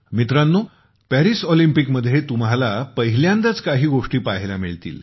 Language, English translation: Marathi, Friends, in the Paris Olympics, you will get to witness certain things for the first time